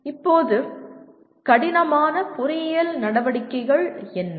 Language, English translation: Tamil, Now what are complex engineering activities